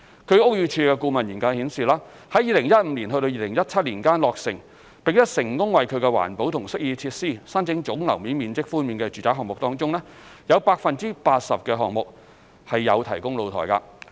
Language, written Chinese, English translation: Cantonese, 據屋宇署的顧問研究顯示，在2015年至2017年間落成並成功為其環保及適意設施申請總樓面面積寬免的住宅項目中，有 80% 的項目有提供露台。, According to the consultancy study engaged by BD 80 % of the residential development projects completed in 2015 to 2017 with GFA concessions granted on green and amenity features were provided with balconies